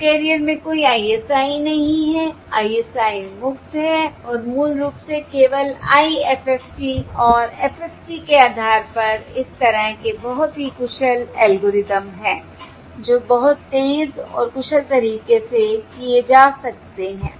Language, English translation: Hindi, There is no ISI across the subcarrier, each subcarrier is ISI free and, basically, which are very efficient algorithms in such based only on IFFT and FFT, which can be done in a very fast and efficient manner